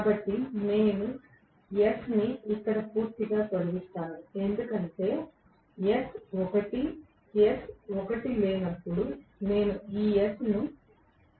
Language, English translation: Telugu, So, I eliminate s completely here because s is 1, when s was not 1 I had this s to be 0